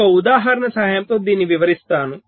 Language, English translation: Telugu, i shall explain this with an example